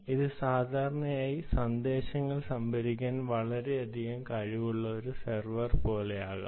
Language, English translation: Malayalam, it could be typically like a server which has a lot of ability to store messages